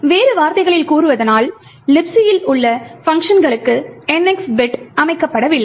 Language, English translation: Tamil, In other words, the NX bit is not set for the functions in LibC